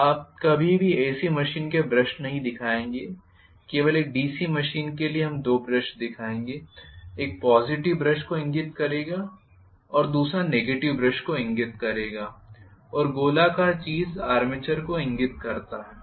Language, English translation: Hindi, You will never ever show a brush for AC machines, only for a DC machine we will show the two brushes, one will indicate the positive brush and the other one will indicate the negative brush and the circular thing indicates the armature